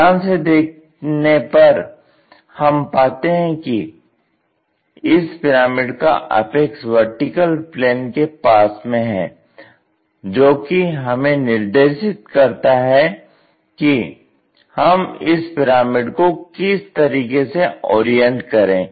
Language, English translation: Hindi, If you are looking carefully at this last point the apex of the pyramid being near to vertical plane that gives us preferential direction already which way we have to orient this pyramid